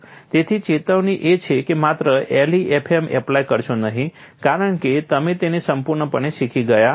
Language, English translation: Gujarati, So, the warning is simply do not apply LEFM because that you have learn it thoroughly